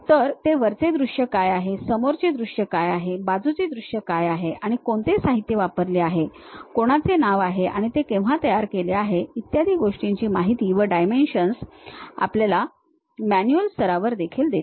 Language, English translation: Marathi, So, it makes something like what is top view, what is front view, what is side view and what are the materials have been used, whose name is there, and when they have prepared and so on so things and gives you those dimensions also at manual level